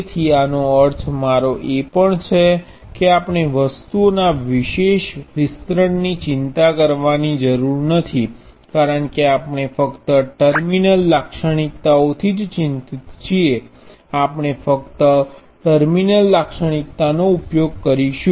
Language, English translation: Gujarati, So, this is what I also meant by we do not worry about special extension of things because we are concerned only with terminal characteristics, we will use only the terminal characteristics